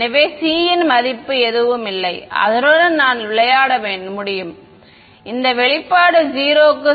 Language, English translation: Tamil, So, there is no value of c that I can play around with that can make this expression going to 0